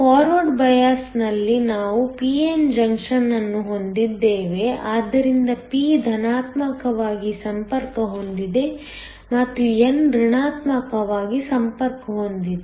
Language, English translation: Kannada, We have a p n junction in forward bias, so p is connected to the positive and n is connected to the negative